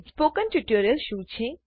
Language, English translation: Gujarati, What is a Spoken Tutorial